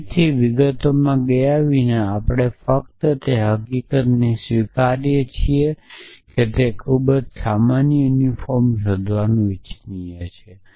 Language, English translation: Gujarati, So, again without going into details we just accept the fact that it is desirable to find the most general unifier